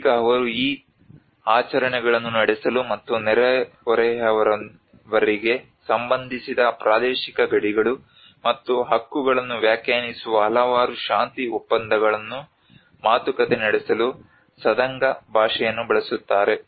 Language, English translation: Kannada, Now they also use the Sadanga language to conduct these rituals and to negotiate a numerous peace pacts which define the territorial boundaries and rights related to the neighbours